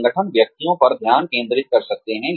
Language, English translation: Hindi, Organizations could focus on individuals